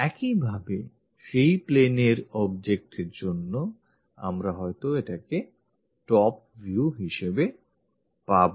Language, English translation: Bengali, Similarly, for the object onto that plane, we may be getting this one as the top view